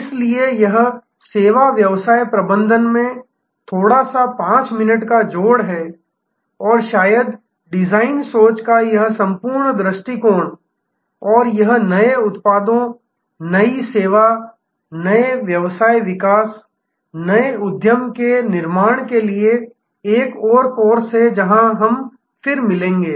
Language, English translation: Hindi, So, this is a little 5 minutes add on to service business management and perhaps, this whole approach of design thinking and it is application to new products, new service, new business development, new venture creation will be another course, where we will meet again